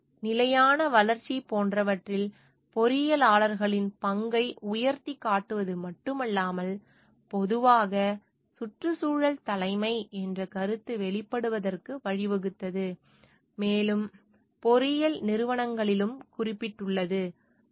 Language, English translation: Tamil, This is not only highlighted the role of engineers towards like sustainable development, but has also led the emergence of the concept of environmental leadership in general, and more specific in engineering organisations as well